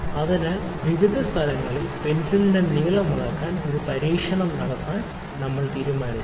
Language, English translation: Malayalam, So, we have decided to conduct an experiment to measure the length of the pencil at various places